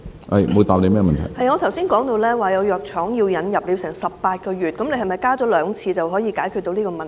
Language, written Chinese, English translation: Cantonese, 我剛才說有藥廠把藥物引入《藥物名冊》需時18個月，是否把檢討增加至兩次就可以解決這個問題？, I said just now that some pharmaceutical companies spent 18 months on introducing their drugs into HADF . Can the increase of the review frequency to twice a year resolve this problem?